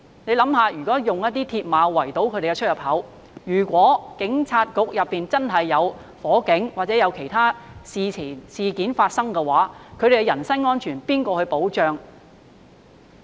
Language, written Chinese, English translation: Cantonese, 試想想，用鐵馬圍堵警察總部出入口，如果裏面發生火災或有其他事件發生的話，他們的人身安全誰來保障？, Imagine if a fire or another incident broke out in the Police Headquarters who could protect their safety with the entrance blocked by mills barriers?